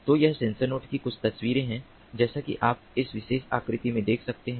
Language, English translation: Hindi, so this is these are some of the pictures of sensor nodes, as you can see in this particular figure